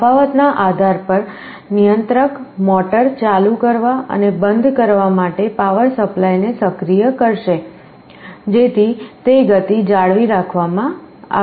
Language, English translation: Gujarati, Depending on the difference the controller will be activating the power supply of the motor to turn it on and off, so that speed is maintained